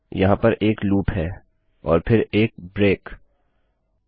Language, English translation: Hindi, This is a loop here and then a break